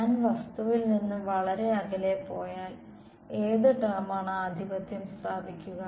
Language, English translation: Malayalam, If I go very far away from the object, what term will dominate